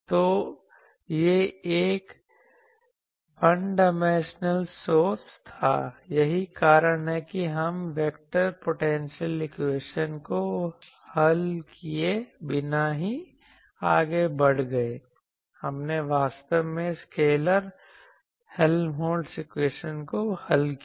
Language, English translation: Hindi, So, it was a one dimensional source that is why we got away without solving the vector Helmholtz equation, we actually solved the scalar Helmholtz equation